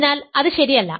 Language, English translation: Malayalam, So, it is not proper